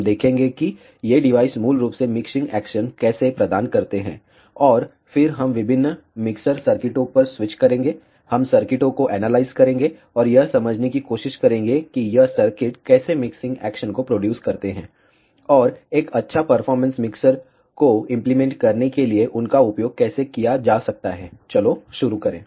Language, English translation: Hindi, We will see how these devices basically provide mixing action, and then we will switch to various mixer circuits, we will analyse the circuits, and try to understand how this circuits produce mixing actions, and how they can be used to implement a good performance mixer, let us begin